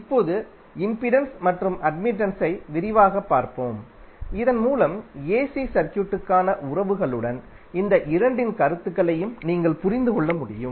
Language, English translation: Tamil, Now let us look at impedance and admittance in detail so that you can understand the concepts of these two entities with relations to the AC circuit